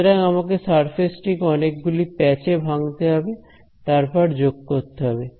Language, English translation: Bengali, So, I will have to break up the surface like this into various patches and sum it up